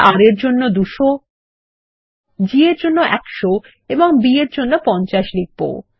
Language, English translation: Bengali, We will enter 200 for R, 100 for G and 50 for B